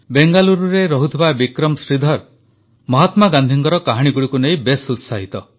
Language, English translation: Odia, There is Vikram Sridhar in Bengaluru, who is very enthusiastic about stories related to Bapu